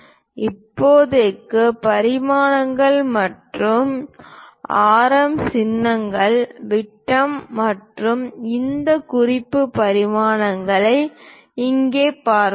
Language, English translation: Tamil, As of now we will look at here dimensions and radius symbols, diameters and these reference dimensions